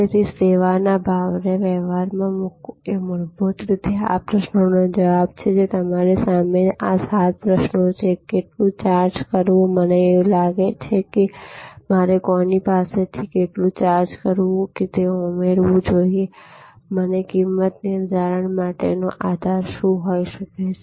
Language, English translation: Gujarati, So, putting service pricing into practice is fundamentally answering this question, which are in front of you this seven question, how much to charge and I think I should add a how much to charge whom and when, what is the basis for pricing, who will be collecting the payment, what kind of payment is it credit card payment